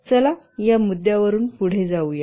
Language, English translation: Marathi, Let's proceed from this point